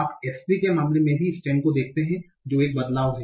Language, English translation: Hindi, You see in the case of S3, even the stem gets a change